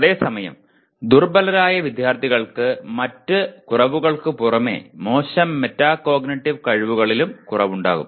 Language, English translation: Malayalam, Whereas, weaker students typically have poor metacognitive skills besides other deficiencies